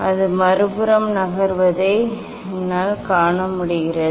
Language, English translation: Tamil, I can see it is moving in other side